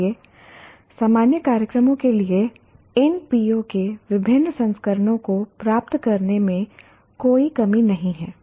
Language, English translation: Hindi, So, there is no dearth of getting different versions of these POs for general programs